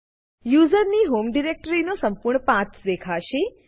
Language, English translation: Gujarati, The full path of users home directory will be displayed